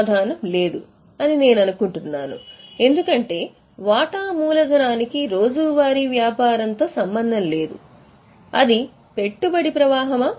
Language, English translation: Telugu, I think answer is no because share capital has nothing to do with day to day business